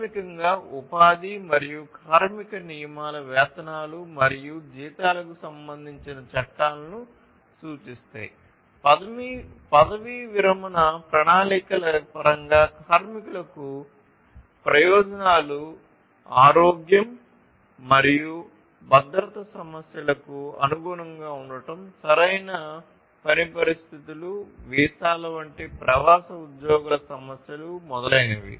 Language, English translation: Telugu, So, basically the employment and labor rules represent laws concerning wages and salaries, things such as benefits to the workers in terms of retirement plans, compliance with health and safety issues, proper working conditions, issues of expatriate employees such as visas and so on